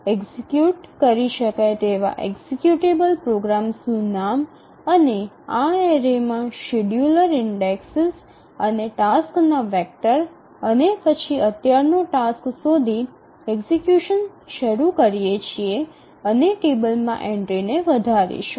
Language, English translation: Gujarati, So, just name of the programs executables that to be executed and the scheduler just indexes in this array of the vector of tasks and then finds out the current one, initiates execution and increments the entry to the table